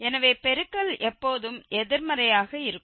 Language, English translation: Tamil, So, that the product is always negative